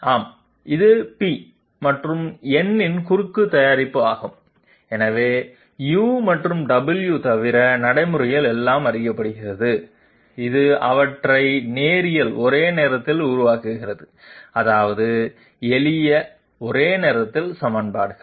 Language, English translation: Tamil, Yes, it is the cross product of p and n, so practically everything is known except Delta u and Delta w, which makes them linear simultaneous that means simple simultaneous equations